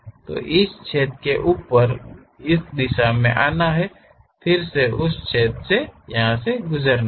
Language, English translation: Hindi, So, over this hole it has to go, come in that direction, again pass through that hole and goes